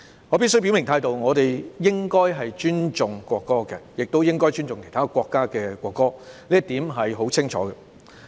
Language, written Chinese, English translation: Cantonese, 我必須表明態度，我們應該尊重國歌，亦應該尊重其他國家的國歌，這一點是很清楚的。, I must make my stand clear . We should respect the national anthem and also those of other countries . This is perfectly clear